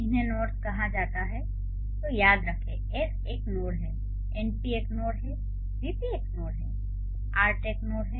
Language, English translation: Hindi, Remember, S is a node, NP is a node, VP is a node, art is a node